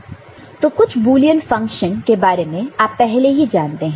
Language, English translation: Hindi, So, the Boolean function some of the function that you have already familiarized with